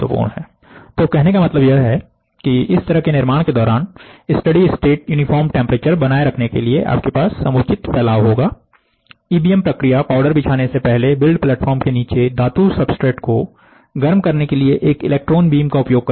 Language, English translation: Hindi, So that means to say, you will have a spreading of your spot, in order to maintain a steady state uniform temperature throughout the build, the EBM process uses an electron beam to heat the metal substrate at the bottom of the build platform before laying the powder